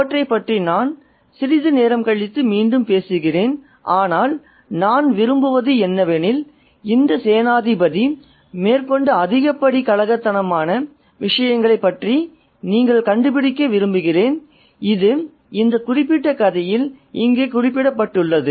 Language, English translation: Tamil, I'll come back to that a bit later, but I would like to, I would like you to find it about the riotouses that this general carried out and which is made reference here in this particular story